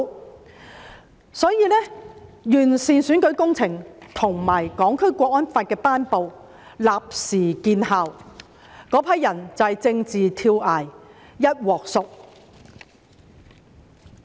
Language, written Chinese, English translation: Cantonese, 結果，完善選舉制度和《香港國安法》的頒布立時見效，那群人便是政治跳崖，"一鑊熟"。, As a result the promulgation of the improved electoral system and the Hong Kong National Security Law produced instant effect . This group of people immediately jumped off the political cliff and resulted in their own total destruction